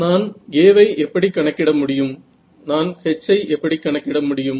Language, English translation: Tamil, So, how can I calculate A, how can I calculate H, how can I calculate E